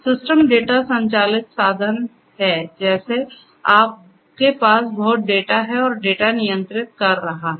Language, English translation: Hindi, Systems are data driven means like you know you are; you have lot of data and data is controlling